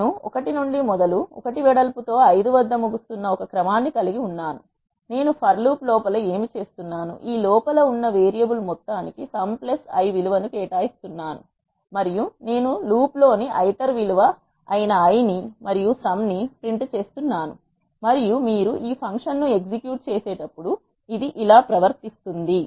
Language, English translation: Telugu, I am having a sequence which is starting from 1 and then ending at 5 with a width of 1, what I am doing inside the for loop is I am assigning sum plus i value to the variable sum inside this for loop and I am printing the i which is the iter value in the loop and the sum when you execute this function this is how it behaves